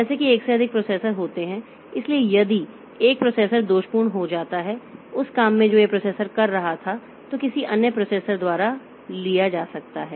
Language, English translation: Hindi, So, if one processor become faulty, the job that this processor was doing may be taken up by some other processor